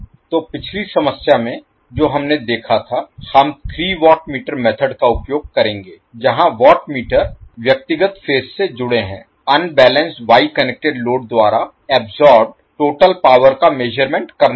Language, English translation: Hindi, So in the previous problem what we saw we will use three watt meter method where the watt meters are connected to individual phases to measure the total power absorbed by the unbalanced Y connected load